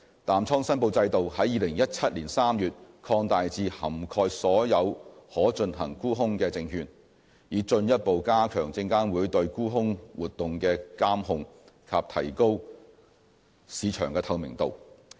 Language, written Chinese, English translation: Cantonese, 淡倉申報制度在2017年3月擴大至涵蓋所有可進行沽空的證券，以進一步加強證監會對沽空活動的監控及提高市場透明度。, The short position reporting regime was expanded in March 2017 to cover all securities eligible for short selling to further enhance SFCs monitoring of short selling activities and improve market transparency